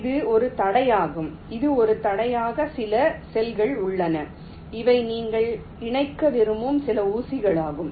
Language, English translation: Tamil, let say this is an obstacle, there is some cells and these are some pins which you want to connect